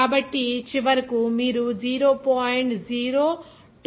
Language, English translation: Telugu, So, finally, you are getting 0